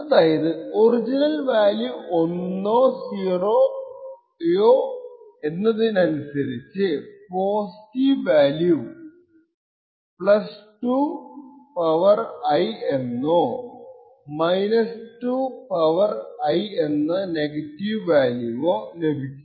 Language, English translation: Malayalam, So, you see that depending on whether the original value was 1 or 0 would get either a positive value of (+2 ^ I) or a ( 2 ^ I)